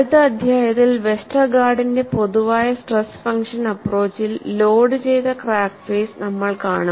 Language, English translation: Malayalam, So, one of the advantages of the Westergaard's stress function approach is, one can also steady loaded crack phases